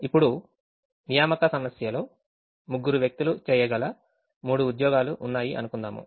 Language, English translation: Telugu, in the assignment problem let's say there are three jobs which can be done by three people